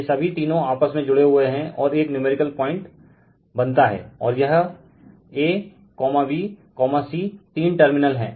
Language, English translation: Hindi, All three are bound together and a numerical point is formed, and this is a, b, c that three terminals right